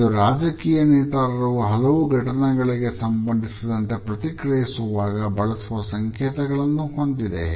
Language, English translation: Kannada, It is about how political leaders make gestures when they react to certain events